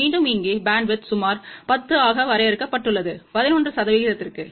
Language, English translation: Tamil, And again here we had seen that the bandwidth is limited to about 10 to 11 percent